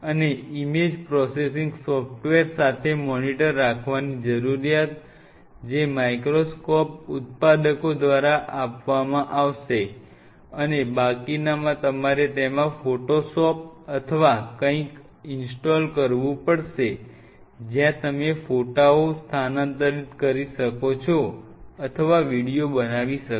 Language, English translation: Gujarati, And the need for having a monitor along with image processing software’s, which partly will be provided by the microscope makers and rest you may have to have a photoshop or something installed in it where you transfer the images or you found to make a video what all facilities you have ok